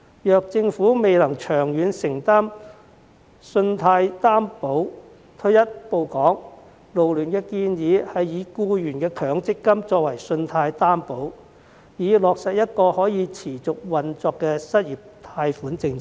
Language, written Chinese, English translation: Cantonese, 如政府未能長遠承擔信貸擔保，退一步來說，勞聯建議以僱員的強積金作為信貸擔保，以落實一項可持續運作的失業貸款政策。, If the Government fails to provide loan guarantee in the long run FLU suggests taking one step back and using the employees Mandatory Provident Fund as a loan guarantee with a view to implementing a sustainable unemployment loan policy